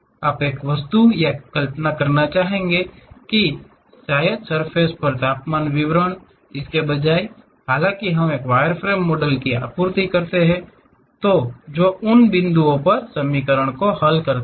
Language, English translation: Hindi, You would like to visualize an object or perhaps the temperature distribution on the surface; instead though we supply wireframe model which solves the equations at those points